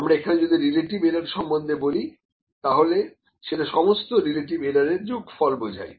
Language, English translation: Bengali, If I talk about the relative error, that is the sum of the relative errors again